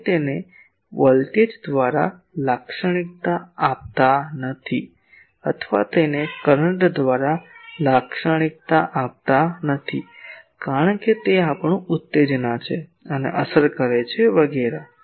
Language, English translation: Gujarati, We do not characterized it by voltage or do not characterize it by current because those are our excitation and affects etc